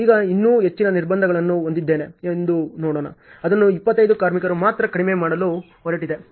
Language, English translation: Kannada, Now, let us see still I have more constraints I am going to reduce it to 25 workers only